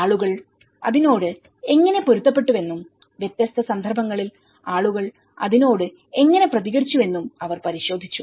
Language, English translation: Malayalam, And they have looked at how people have adapted to it, how people have responded to it in different context